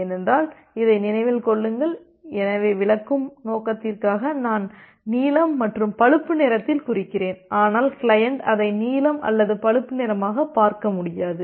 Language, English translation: Tamil, Because remember this, so although for the explaining purpose I am marking it has blue and brown, but the client cannot see it as a blue or brown